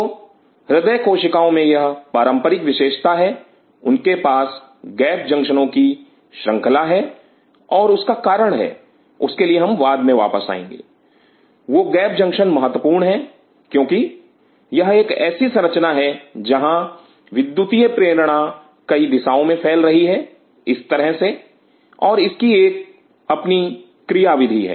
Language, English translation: Hindi, So, cardiac cells have this classic feature they have series of gap junctions, and there is reason for we will come later in to that why there is those gap junctions are important because it is a structure where the electrical stimulation has to in a spread out in multiple direction like this, and it has its own function